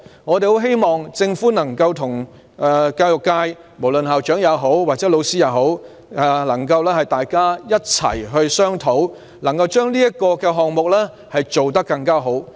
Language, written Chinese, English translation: Cantonese, 我們希望政府能夠與教育界，包括校長和老師一起商討，把這個項目做得更好。, We hope that the Government will discuss with the education sector including principals and teachers to improve this project